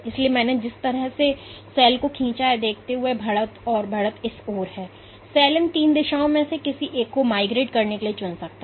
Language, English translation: Hindi, So, given the way I have drawn the cell where this edge and the leading edge is towards this, the cell can choose any one of these three directions for migrating